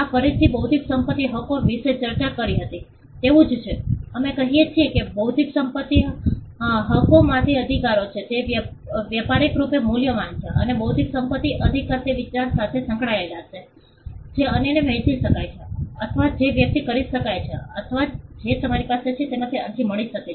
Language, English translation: Gujarati, This again is similar to what we discussed about intellectual property Rights, we say that intellectual property Rights are valuable Rights they are commercially valuable and intellectual property Right is tied to an idea which can be shared to others or which can be expressed or which can or you can have an application out of it